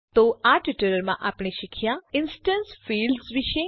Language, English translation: Gujarati, So in this tutorial, we learnt About instance fields